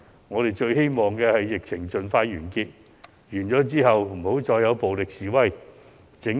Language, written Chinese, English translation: Cantonese, 我們最希望疫情盡快完結，其後再也沒有暴力示威。, Instead we wish to see a quick end of the epidemic and no more violent protests